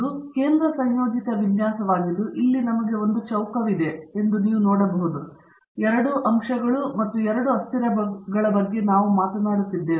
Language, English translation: Kannada, This is the central composite design, you can see that we have a square here; we are talking about 2 factors, 2 variables